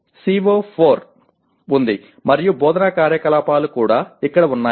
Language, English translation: Telugu, I have my CO4 and instructional activities are also in this here